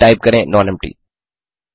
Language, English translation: Hindi, Then type nonempty